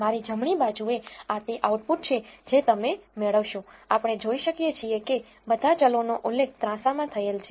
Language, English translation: Gujarati, On my right this is the output you will get so, we can see that all the variables are mentioned across the diagonals